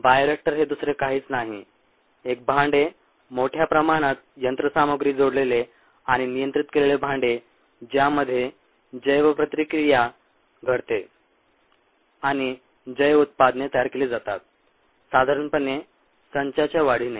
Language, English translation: Marathi, a bioreactor is nothing but a vessel, highly instrumented and controlled vessel, in which bio reactions take place and bio products are made, normally with the multiplication of sets